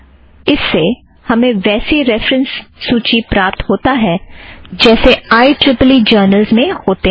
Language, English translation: Hindi, Which provides unsorted reference list as used in IEEE journals